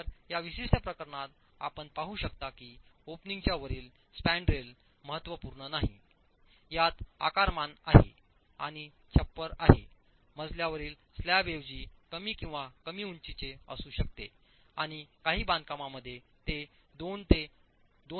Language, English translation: Marathi, So, in this particular case, you can see that the spandrel above the opening is not significant in its dimension and the roof is the floor slab is rather low, interstory height can be low, it can be as low as 2